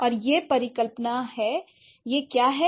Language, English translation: Hindi, And this hypothesis, what has it done